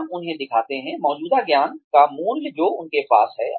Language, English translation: Hindi, We show them, the value of the existing knowledge, that they have